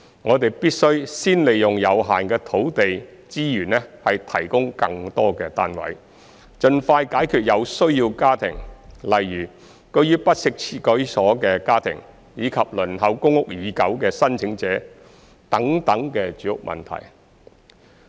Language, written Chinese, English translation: Cantonese, 我們必須先利用有限的土地資源提供更多單位，盡快解決有需要家庭，例如居於不適切居所的家庭，以及輪候公屋已久的申請者等住屋問題。, We must first make use of the limited land resources to provide more flats to resolve the housing problem of families in need such as those living in inadequate housing and applicants who have been waiting for PRH for a long time